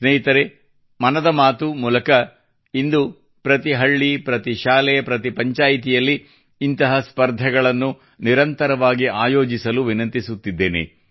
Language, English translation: Kannada, Friends, through 'Mann Ki Baat', today I request every village, every school, everypanchayat to organize such competitions regularly